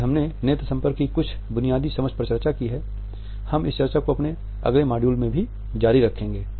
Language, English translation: Hindi, So, today we have discussed certain basic understandings of eye contact we will continue this discussion in our next module too